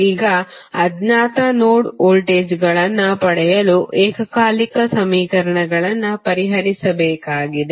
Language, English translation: Kannada, Now, you have to solve the resulting simultaneous equations to obtain the unknown node voltages